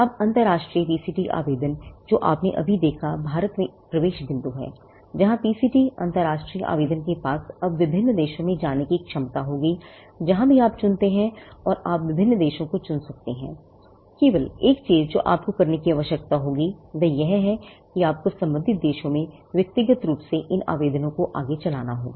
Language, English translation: Hindi, Now, the PCT international application which you just saw, is an entry point in India, where the PCT international application will now have the potential to go to various countries; wherever you choose and you can choose different countries; the only thing that you will need to do is, you will have to individually prosecute these applications in the respective countries